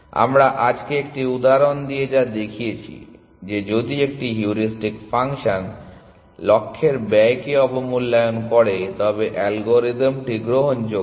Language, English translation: Bengali, So, what we have shown with an example today, that if a heuristic function underestimates the cost of the goal then the algorithm is admissible